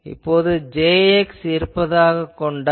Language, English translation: Tamil, So, suppose I have a Jx; that means, and I have a Jx here